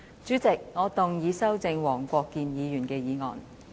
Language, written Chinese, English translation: Cantonese, 主席，我動議修正黃國健議員的議案。, President I move that Mr WONG Kwok - kins motion be amended